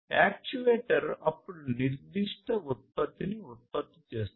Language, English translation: Telugu, And this actuator then produces certain output